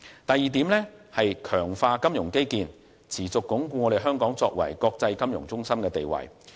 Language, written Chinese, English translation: Cantonese, 第二，強化金融基建，持續鞏固香港作為國際金融中心的地位。, Secondly improve the financial infrastructure and continue to consolidate Hong Kongs position as an international financial centre